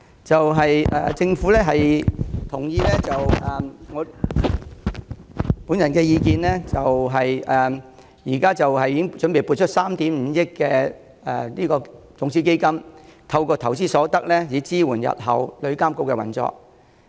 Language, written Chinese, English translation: Cantonese, 政府接納我提出的意見，擬撥出3億 5,000 萬元種子基金，透過投資所得，支援日後旅遊業監管局的運作。, The Government has taken my view on board by planning to allocate 350 million as the seed money the investment returns from which will finance the operation of TIA in future